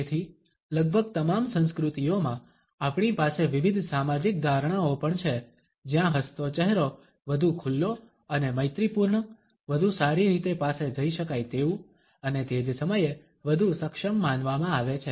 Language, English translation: Gujarati, Therefore, we also have different social perceptions in almost all the cultures where a smiling face is considered to be more likeable open and friendly, better approachable and at the same time more competent